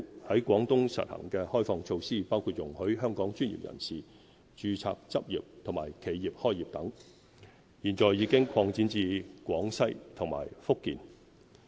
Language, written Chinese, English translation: Cantonese, 在廣東實行的開放措施，包括容許香港專業人員註冊執業和企業開業等，現已擴展至廣西和福建。, Liberalization measures implemented in Guangdong including allowing our professionals to register and practise and our enterprises to establish a business there have now been extended to Guangxi and Fujian